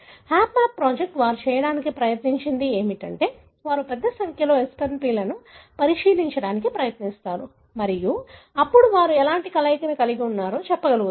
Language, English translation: Telugu, The HapMap project, what they have tried to do is they try to look into a large number of such SNP and then they are able to even tell, for example what kind of combination they have